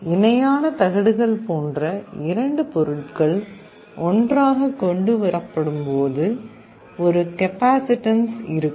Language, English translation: Tamil, When two materials like parallel plates are brought close together, there will be a capacitance